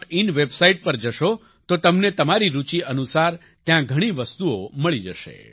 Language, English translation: Gujarati, in website, you will find many things there according to your interest